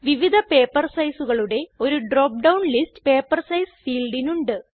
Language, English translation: Malayalam, Paper size field has a drop down list with different paper sizes